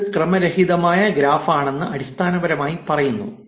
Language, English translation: Malayalam, It basically says that it is a random graph